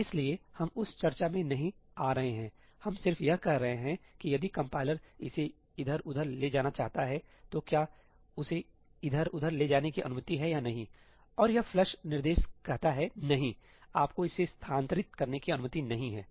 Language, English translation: Hindi, So, we are not getting into that discussion, we just saying that if the compiler wants to move this around, is he allowed to move it around or not; and this flush instruction says ëno, you are not allowed to move it aroundí